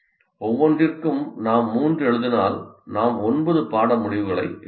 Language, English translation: Tamil, For each one if I write three, I end up writing nine course outcomes